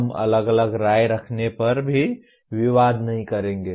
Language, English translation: Hindi, We will not dispute that even if we have different opinion